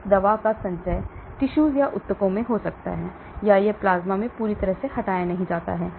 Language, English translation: Hindi, Accumulation of this drug may be in the tissues or it is not fully removed from the plasma